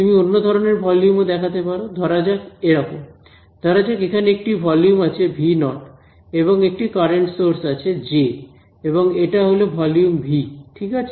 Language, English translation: Bengali, You may come across another different kind of volume, which is like this; let us say this is let us say volume V naught and there is a current source over here J and this is volume V ok